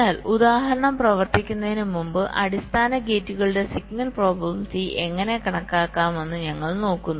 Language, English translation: Malayalam, but before working out the example, we look at how to compute the signal probability of the basic gates